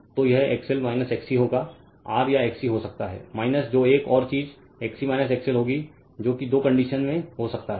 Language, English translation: Hindi, So, it will be your XL minus XC may be R or XC minus your what you callanother thing will be XC minus your XL may be at two condition may happen right